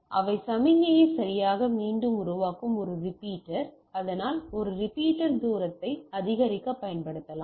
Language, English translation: Tamil, So, a repeater which regenerates the signal right so that is a repeater can be used to increase the distance